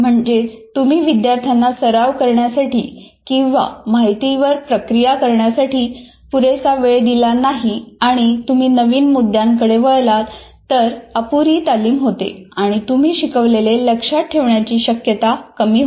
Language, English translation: Marathi, That is, if you don't give time to the students to practice or process that information and you move on to a new topic, obviously the rehearsal is not adequate and it is unlikely to be retained in the memory